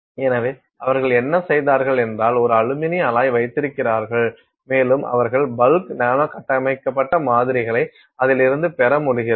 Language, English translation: Tamil, So, what they have done is they have up with an aluminium alloy and they are able to get bulk Nanos structured samples out of it